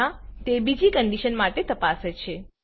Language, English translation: Gujarati, Else it will check for another condition